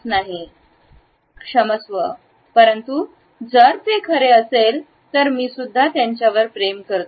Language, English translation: Marathi, Sorry, but if it is true I love him too